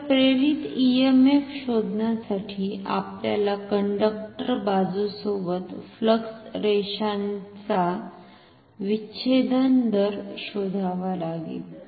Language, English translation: Marathi, So, to find the induced EMF we need to compute the rate of intersection of this conductor side with the flux lines